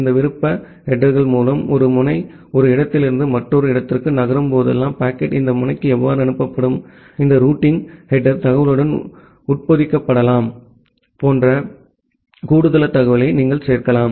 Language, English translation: Tamil, With this optional header you can add this additional information like whenever a node is moving from one location to another location, how the packet would be forwarded to this node, that can get embedded with this routing header information